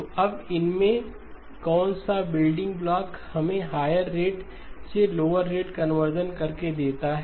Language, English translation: Hindi, So now which of the building blocks gives us the higher rate to lower rate conversion